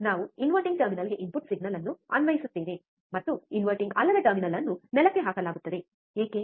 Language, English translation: Kannada, we will applied input signal to the to the inverting terminal, and the non inverting terminal would be grounded, why